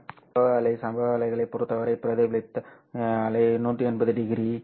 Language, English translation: Tamil, With respect to incident wave, this reflected wave is 180 degrees, this is 180 degrees, right